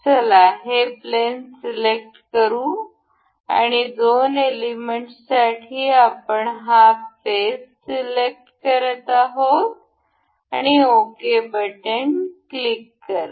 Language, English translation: Marathi, Let us select this plane and for two elements, we will be selecting this face and say this face, just click it ok